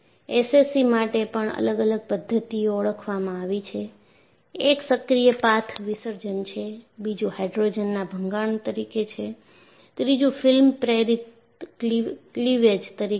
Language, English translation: Gujarati, There are three mechanisms identify it to cause SCC: one is active path dissolution, second one is hydrogen embrittlement, the third one is film induced cleavage